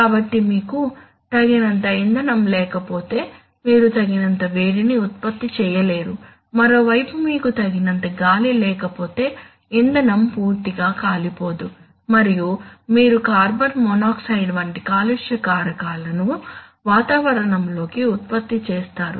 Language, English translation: Telugu, So if you do not have enough fuel then you are going to, you will probably not generate enough heat, on the other hand if you do not have enough air then the fuel will not be completely burnt and you will produce pollutant like carbon monoxide into the atmosphere